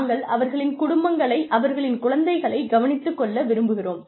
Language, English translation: Tamil, We want to take care of their families, their children